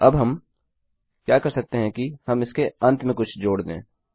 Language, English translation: Hindi, Now, what we can do is we can add something on the end of this